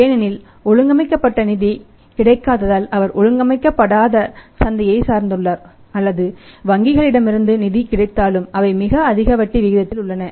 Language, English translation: Tamil, Because for the distribution network organised funding is not available he has either depend upon the unorganised market or even if from the banks the funds are available they are at a very high interest rate